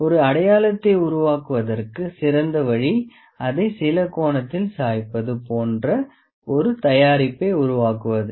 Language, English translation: Tamil, The best way to make a mark is to make it at a make like a tilt it at some angle like tilt it at some angle